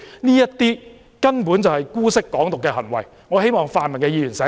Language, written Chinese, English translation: Cantonese, 這些根本就是姑息"港獨"的行為，我希望泛民議員清醒一下。, They are basically indulgent towards Hong Kong independence . I hope pan - democratic Members will have a clear mind